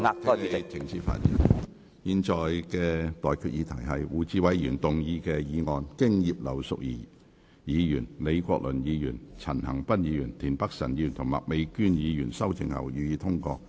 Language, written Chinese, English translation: Cantonese, 我現在向各位提出的待決議題是：胡志偉議員動議的議案，經葉劉淑儀議員、李國麟議員、陳恒鑌議員、田北辰議員及麥美娟議員修正後，予以通過。, I now put the question to you and that is That the motion moved by Mr WU Chi - wai as amended by Mrs Regina IP Prof Joseph LEE Mr CHAN Han - pan Mr Michael TIEN and Ms Alice MAK be passed